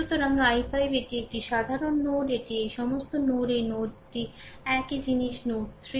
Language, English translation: Bengali, So, i 5 this is a common node, this is all this node this node this node the same thing node 3